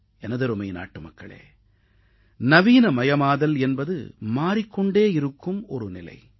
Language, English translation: Tamil, My dear countrymen, definitions of being modern are perpetually changing